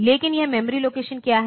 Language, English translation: Hindi, But what is this memory location M